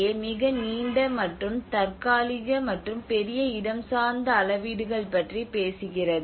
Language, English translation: Tamil, The CCA talks about the more longer and temporal and larger spatial scales